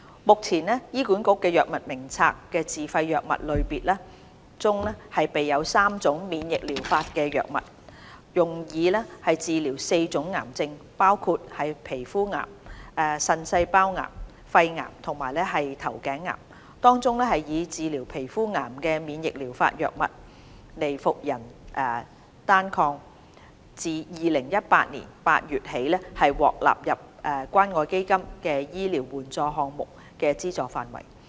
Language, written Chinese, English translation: Cantonese, 目前，醫管局《藥物名冊》的自費藥物類別中備有3種免疫療法藥物，用以治療4種癌症，包括皮膚癌、腎細胞癌、肺癌和頭頸癌，當中用以治療皮膚癌的免疫療法藥物"尼伏人單抗"自2018年8月起已獲納入關愛基金醫療援助項目的資助範圍。, At present there are three immunotherapy drugs listed as self - financed items SFIs on the HA Drug Formulary HADF for treating four types of cancers namely skin cancer renal cell cancer lung cancer as well as head and neck cancer . Nivolumab a type of immunotherapy drug for treating skin cancer has been covered by the Community Care Fund Medical Assistance Programme since August 2018